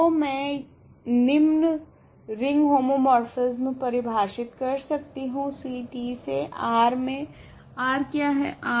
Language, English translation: Hindi, So, I can define the following ring homomorphism from C t to R what is R